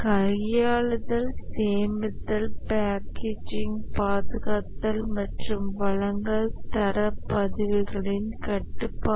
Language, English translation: Tamil, Handling storage, packaging, preservation and delivery, control of the quality records